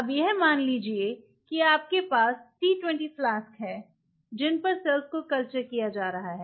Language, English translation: Hindi, Now think of it suppose you have a t 20 flask you have these flasks on which cells are being cultured right